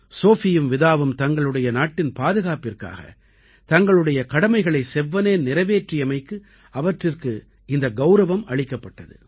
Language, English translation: Tamil, Sophie and Vida received this honour because they performed their duties diligently while protecting their country